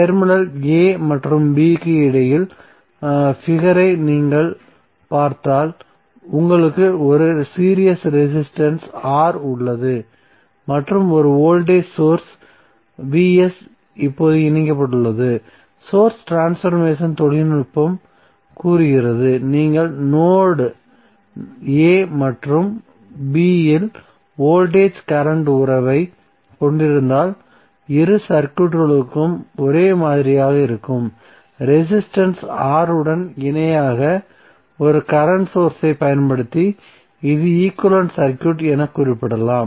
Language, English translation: Tamil, So if you see the figure between terminal a and b you have one series resistance R and one voltage source Vs is connected now, the source transformation technique says that if you have voltage current relationship at node a and b same for both of the circuits it means that this can be represented as an equivalent circuit using one current source in parallel with resistance R